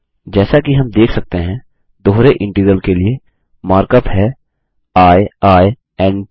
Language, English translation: Hindi, As we can see, the mark up for a double integral is i i n t